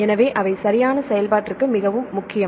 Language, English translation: Tamil, So, they are very important for the function right